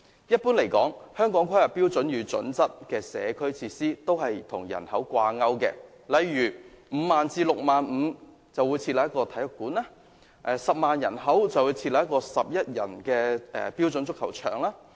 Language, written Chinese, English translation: Cantonese, 一般而言，《香港規劃標準與準則》的社區設施均與人口掛鈎，例如每 50,000 至 65,000 名人口便獲提供一個體育館，以及每10萬名人口便獲提供一個11人標準足球場。, Generally speaking community facilities under HKPSG are population - related for example one sports centre should normally be provided for 50 000 to 65 000 people and a standard football pitch for 11 people should be provided for 100 000 people